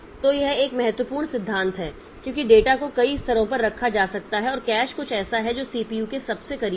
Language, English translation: Hindi, So, this is important principle because data may be kept at several levels and cache is something that is closest to the CPU